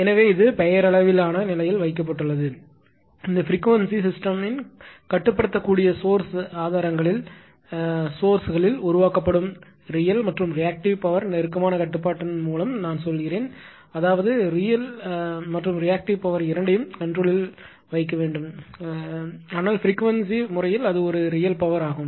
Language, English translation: Tamil, So, it is kept in the nominal state, I mean in this frequency right by close control of the real and reactive power generated in the controllable sources of the system ; that means, you have to ah control both real and reactive power , but later, we will come to that, but frequency case it is a real power right